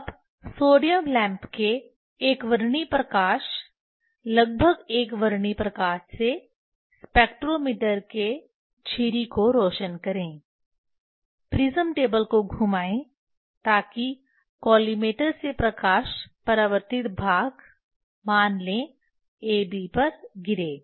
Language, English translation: Hindi, Now, illuminate the slit of the spectrometer with the sodium lamp monochromatic light nearly monochromatic light rotate prism table that the light from collimator falls on the reflecting face say AB